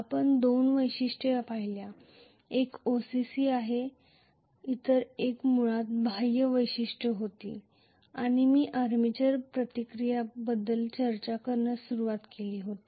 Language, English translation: Marathi, We looked at 2 characteristics, one is OCC, the other one was basically the external characteristics and I had just embarked on discussing armature reaction, right